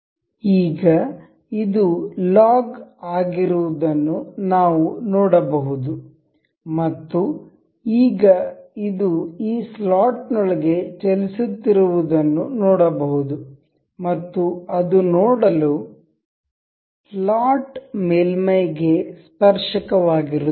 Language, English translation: Kannada, Now, we can see it is logged now, and now we can see this moving within the slot and it is tangent to see, it the slot surface